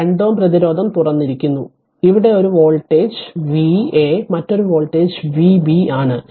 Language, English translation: Malayalam, So, it will be open 2 ohm resistance is open, and we have marked one voltage here V a another voltage is V b